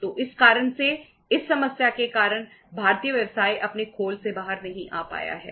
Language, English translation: Hindi, So because of this reason, because of this problem the Indian business has not been able to come out of its shell